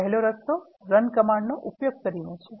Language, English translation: Gujarati, The first way is to use run command